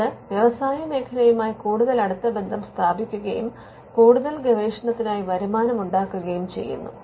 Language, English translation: Malayalam, It builds closer ties with the industry and it generates income for further research